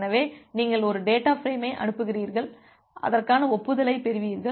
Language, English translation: Tamil, So, you transmit a data frame and you get the corresponding acknowledgement